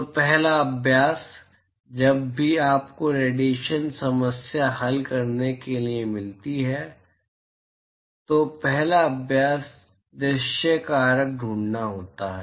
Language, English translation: Hindi, So, the first exercise, whenever you get a radiation problem to be solved, the first exercise is to find the view factor